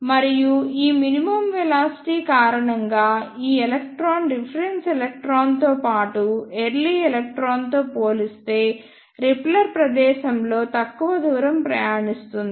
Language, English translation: Telugu, And because of this minimum velocity, this electron will travel lesser distance in the repeller space as compared to the reference electron as well as the early electrons